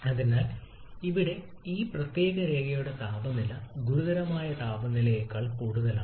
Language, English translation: Malayalam, So here the temperature along this particular line temperature is higher than the critical temperature